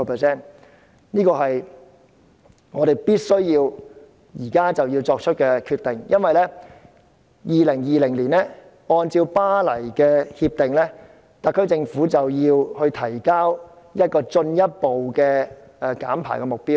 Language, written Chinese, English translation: Cantonese, 這個是我們現時必須作出的決定。因為按照《巴黎協定》，特區政府到2020年便要提交一個進一步的減排目標。, This is a decision that we must make at present because according to the Paris Agreement the SAR Government has to submit in 2020 a target on further reduction of emissions